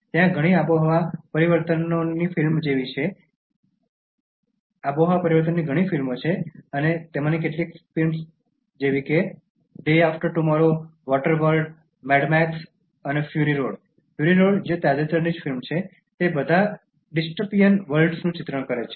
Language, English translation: Gujarati, There are so many climate change films and some of the films like Day After Tomorrow, Water World, Mad Max: Fury Road, which is the recent one, they all picturise dystopian worlds